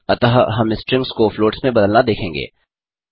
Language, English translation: Hindi, So, We shall now look at converting strings into floats